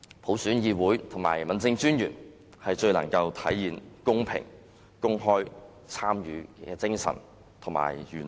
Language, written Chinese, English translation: Cantonese, 普選議會及區政專員最能體現公平、公開參與的精神和原則。, Councils and District Commissioners returned by universal suffrage can best realize the spirit and principle of equality and open participation